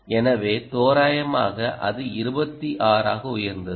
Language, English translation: Tamil, it went up to twenty six